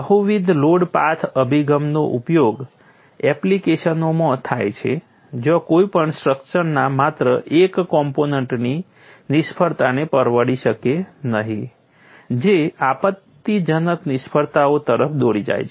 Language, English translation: Gujarati, And you also have another important concept multiple load path approach is used in applications where one cannot afford failure of just one component of a structure leading to catastrophic failures